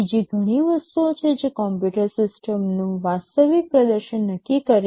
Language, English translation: Gujarati, There are many other things that determine the actual performance of a computer system